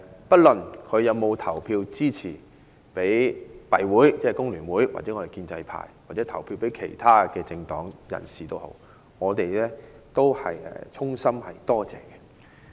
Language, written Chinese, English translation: Cantonese, 不論市民有否投票支持工聯會或建制派，或投票給其他政黨人士，我們都是衷心感謝。, It does not matter whether people voted for the Federation of Trade Unions the pro - establishment camp or other political parties we still thank them whole - heartedly